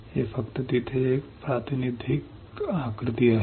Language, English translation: Marathi, This is just a representative diagram right there